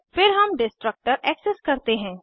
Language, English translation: Hindi, Then we access the destructor